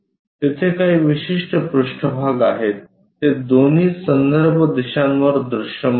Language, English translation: Marathi, There are certain surfaces which can be visible on both the reference directions